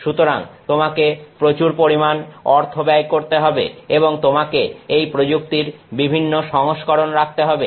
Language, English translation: Bengali, So, you are going to spend a lot of money and you are going to keep on having multiple versions of the same technique